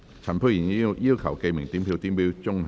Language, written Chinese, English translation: Cantonese, 陳沛然議員要求點名表決。, Dr Pierre CHAN has claimed a division